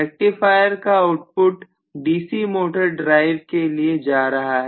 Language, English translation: Hindi, So the rectifier output actually is going to the DC motor drive